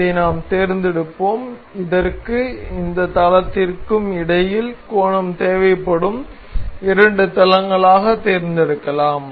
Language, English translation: Tamil, We will select this and the two planes that we need angle between with is this and this plane